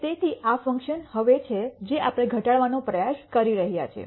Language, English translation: Gujarati, So, this is the function now that we are trying to minimize